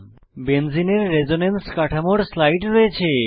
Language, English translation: Bengali, Here is slide for the Resonance Structures of Benzene